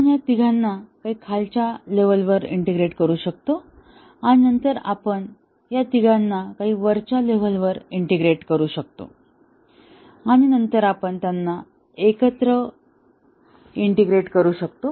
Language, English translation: Marathi, So, we might integrate these three and then we might integrate these three, so some at the bottom level some at the top level and then we integrate them together